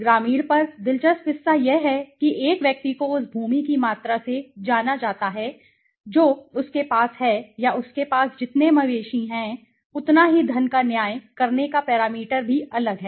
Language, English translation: Hindi, On the rural, the interesting part is a person is known wealthy by the amount of land he holds okay or the number of cattle he holds so the parameter of judging wealth is also different right